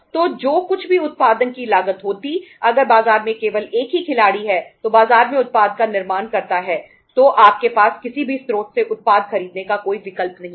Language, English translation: Hindi, So whatever is going to be the cost of the production if there is only single player in the market manufacturing the product in the market you have no option to buy the product from any source